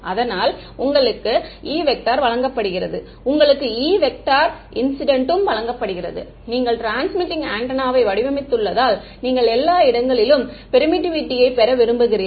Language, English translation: Tamil, So, E is given to you, E incident is also given to you because you have designed the transmitting antenna right and you want to obtain permittivity everywhere ok